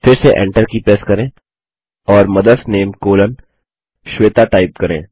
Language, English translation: Hindi, Again press the Enter key and type MOTHERS NAME colon SHWETA